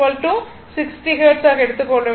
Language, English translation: Tamil, So, frequency f is your 60 hertz right